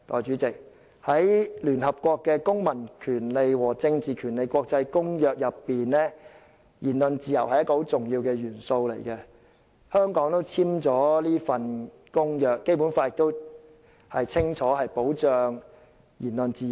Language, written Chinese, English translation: Cantonese, 在聯合國《公民權利和政治權利國際公約》下，言論自由是一個很重要的元素，香港是這項公約的締約方之一，而《基本法》亦清楚保障了言論自由。, Under the International Covenant on Civil and Political Rights of the United Nations ICCPR freedom of speech is an important element . Hong Kong is a party to ICCPR and the Basic Law also provides clearly for the protection of freedom of speech